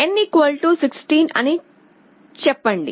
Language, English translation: Telugu, Let us say n = 16